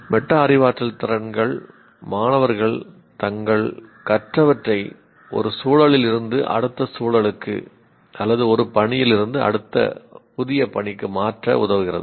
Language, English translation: Tamil, Metacognitive skills help students to transfer what they have learned from one context to the next or from one task to a new task